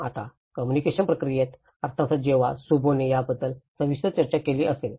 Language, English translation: Marathi, Now in the communication process, of course when Shubho have dealt in detailed about it